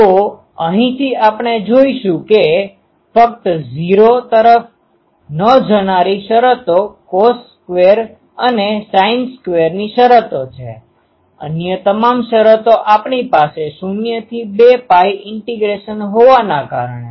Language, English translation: Gujarati, So, from here we will see that only terms that do not integrate to 0 are the cos square and sin square terms all other terms since we are having a 0 to 2 pi integration